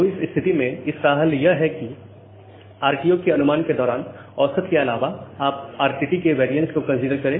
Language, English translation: Hindi, So, in that case, the solution is that apart from the average one, you consider the variance of RTT during the RTO estimation